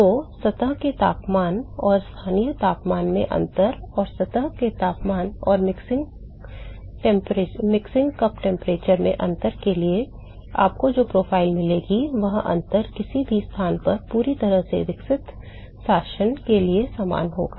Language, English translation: Hindi, So, the profile that you will get for the difference in the surface temperature and the local temperature and the difference in the surface temperature and the mixing cup temperature that difference will be the same for at any location the fully developed regime